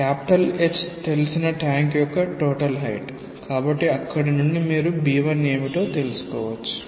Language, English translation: Telugu, H being the height of the tank known, so from there you can find out what is b 1